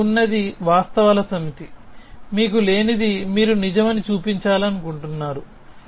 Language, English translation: Telugu, What you have is the set of facts, what you do not have is something you want to show to be true